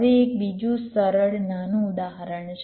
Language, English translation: Gujarati, now there is another simple, small example